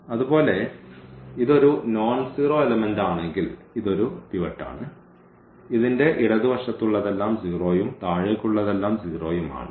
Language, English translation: Malayalam, Similarly, this one is a pivot if it is a nonzero element and this everything to this one is 0 and everything to this one is 0